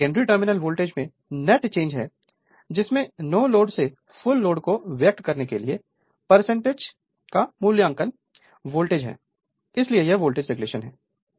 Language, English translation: Hindi, So, it is the net change in the secondary terminal voltage from no load to full load expressed as a percentage of it is rated voltage so, this is my voltage regulation right